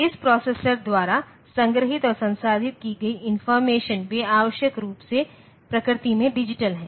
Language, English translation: Hindi, For information that is stored and processed by this processor, they are essentially digital in nature